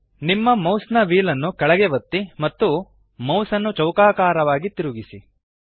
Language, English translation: Kannada, Press down your mouse wheel and move the mouse in a square pattern